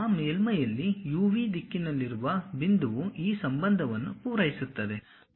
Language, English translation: Kannada, On that surface the point in the direction of u v, supposed to satisfy this relation